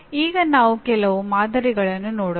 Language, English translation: Kannada, Now we will look at some of the samples